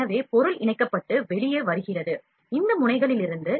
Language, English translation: Tamil, So, the material is fused and comes out from these nozzles